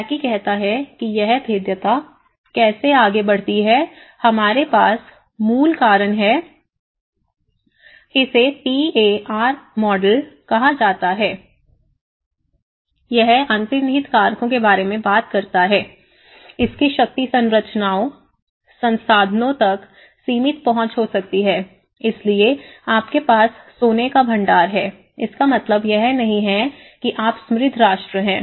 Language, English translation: Hindi, Proposed by Blaikie and it says how the vulnerability progresses we have the root causes it is called the PAR model, it talks about the underlying factors, it could be the limited access to power structures, resources, so you have the gold reserves, it doesn’t mean you are rich nation